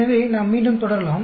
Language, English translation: Tamil, So, let us again continue